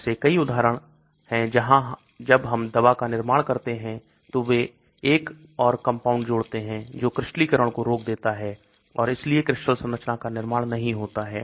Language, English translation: Hindi, There are many examples where when we make the formulation of the drug, they add another compound which will prevent the crystallization and hence the formation of crystal structure